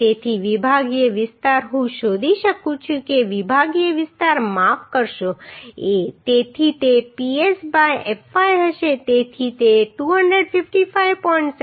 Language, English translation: Gujarati, So the sectional area I can find out the sectional area required sorry A so it will be Ps by fy so it will be 255